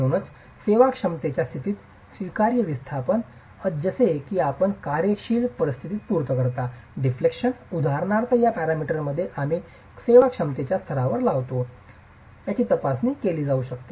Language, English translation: Marathi, So the allowable displacements at the serviceability condition are kept to a level such that you satisfy functional conditions, deflections for example can be taken care of within this parameter check that we do at the serviceability levels